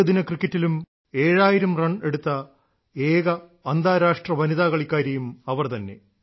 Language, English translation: Malayalam, She also is the only international woman player to score seven thousand runs in one day internationals